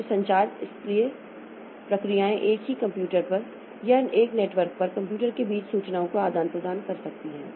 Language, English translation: Hindi, So, processes may exchange information on the same computer or between computers over a network